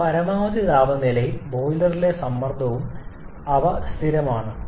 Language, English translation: Malayalam, But the maximum temperature and the boiler pressure, they are constant